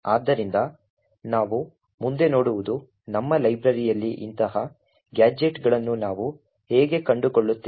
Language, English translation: Kannada, So, the next thing we will actually look at is, how do we find such gadgets in our library